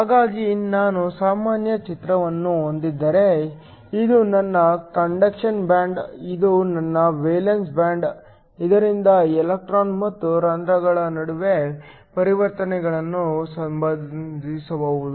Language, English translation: Kannada, So, if I have a general picture, this is my conduction band, this is my valence band, so that different ways in which transitions can occur between the electrons and holes